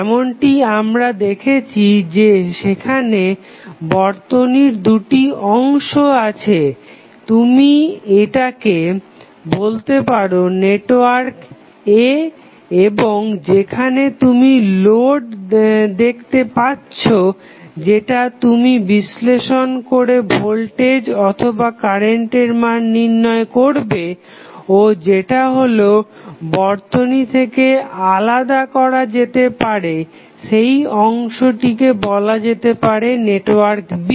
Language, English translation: Bengali, As we see you have 2 sections of the circuit you can say this section is network A and where you see the load or the resistance which, which is of your interest to find out the value of either voltage or current that would be separated from the main circuit and it is called as network B